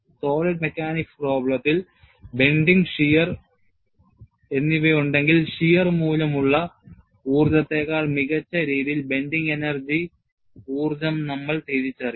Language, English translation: Malayalam, Whenever we have a solid mechanics problem, if there is a bending as well as shear, we would recognize the energy due to bending better than the energy due to shear